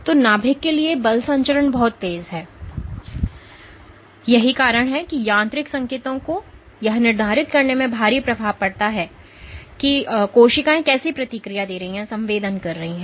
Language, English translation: Hindi, So, the force transmission to the nucleus is very fast and that is why mechanical signals can have a drastic effect in dictating how cells are responding or sensing